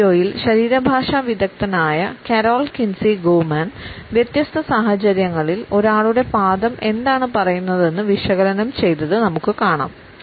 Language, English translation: Malayalam, In this video, we can see that the body language expert carol Kinsey Goman is analyzed what one’s feet tell in different situation